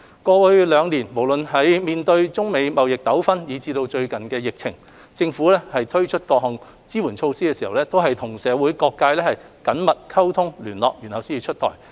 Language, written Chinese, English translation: Cantonese, 過去兩年，無論面對中美貿易糾紛以至應對疫情，政府推出的各項支援措施在出台前，均先行與社會各界進行緊密溝通、聯絡。, The support measures rolled out in the past two years in response to either the United States - China trade conflict or the recent pandemic outbreak are all the results of the close liaison with various sectors of the community